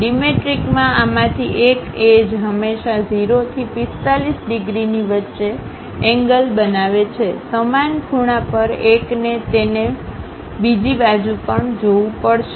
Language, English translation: Gujarati, In dimetric, one of these edges always makes an angle in between 0 to 45 degrees; on the same angle, one has to see it on the other side also